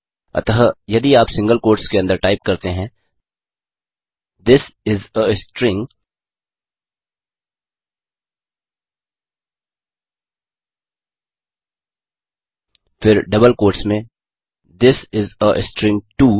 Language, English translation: Hindi, So if you can type within single quotes This is a string, then in double quotes This is a string too